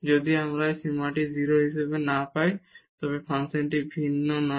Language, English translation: Bengali, If we do not get this limit as 0 then the function is not differentiable